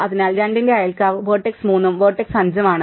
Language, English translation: Malayalam, So, the neighbours of 2 are the vertex 3 and vertex 5